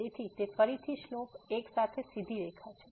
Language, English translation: Gujarati, So, it is again the straight line with slope 1